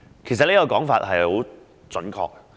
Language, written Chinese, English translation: Cantonese, "其實這說法相當準確。, In fact it is a most accurate comment